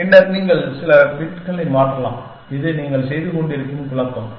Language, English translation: Tamil, Then, you can change some number of bits, which is the perturbation you have doing